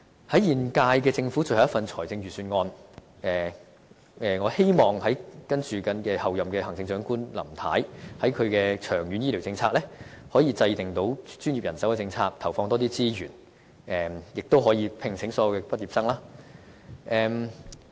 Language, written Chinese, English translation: Cantonese, 在現屆政府最後一份預算案中，我希望候任行政長官"林太"在其長遠醫療政策上，可以制訂出專業人手政策，投放更多資源，並悉數聘請所有醫科畢業生。, Concerning this Budget the final one prepared by the current Government I hope Chief Executive - elect Carrie LAM can in her long - term strategy for health care formulate a right manpower policy and deploy more resources for the health care profession as well as absorbing all medical graduates